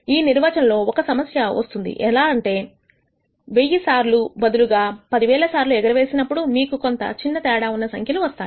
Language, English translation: Telugu, This way of defining how has a problem, because if you do that toss 10,000 times instead of 1,000 times you might get a slightly different number